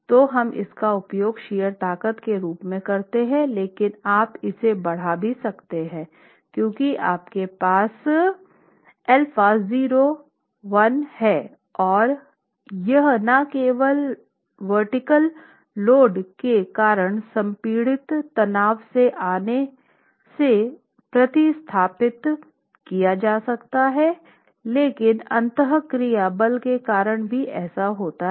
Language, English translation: Hindi, So, we use that as the basis of the shear strength but then enhance this because you have sigma not here and this sigma not can now be replaced with not only that coming from compressive stress due to the vertical load but also due to the interaction force